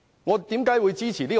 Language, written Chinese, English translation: Cantonese, 為何我會支持這個方案？, Why do I support this proposal?